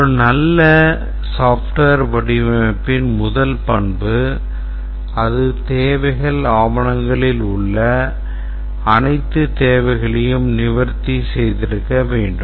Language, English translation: Tamil, The first characteristic of a good software design that it should have addressed all the requirements that were there in the requirements document